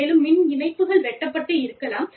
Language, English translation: Tamil, And, maybe, the power lines are cut